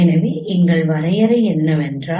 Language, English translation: Tamil, So what is the definition here